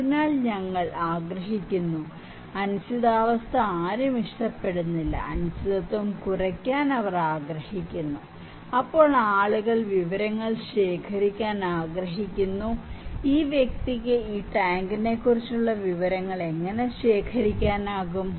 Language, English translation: Malayalam, So, we would like to; no one likes uncertain situation, they want to minimise the uncertainty so, then people would like to collect information, how they can collect information about this tank, this person